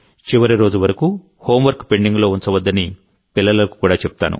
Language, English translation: Telugu, I would also tell the children not to keep their homework pending for the last day